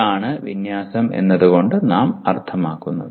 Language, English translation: Malayalam, That is what we mean by alignment